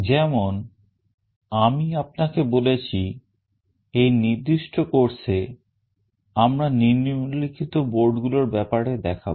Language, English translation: Bengali, As I have already told you, in this particular course we shall be demonstrating the concepts using the following boards